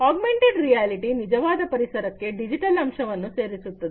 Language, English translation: Kannada, Augmented reality adds digital elements to the actual environment